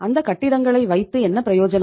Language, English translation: Tamil, What is the use of those buildings